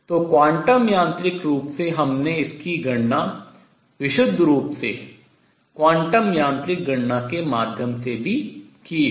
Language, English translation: Hindi, So, quantum mechanically we have also calculated this through a purely quantum mechanical calculation